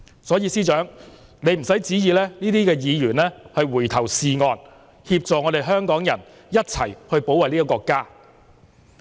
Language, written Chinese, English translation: Cantonese, 所以司長，你不用期望這些議員回頭是岸，協助香港人一起保衞國家。, So Chief Secretary do not ever expect these Members to get back to the right track and work in concert with Hongkongers to defend the country